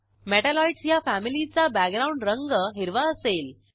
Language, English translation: Marathi, Metalloids appear in Green family background color